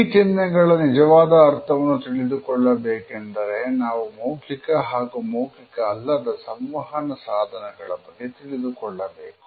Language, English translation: Kannada, In order to find out the exact meaning we have to rely on certain other messages by verbal as well as non verbal communication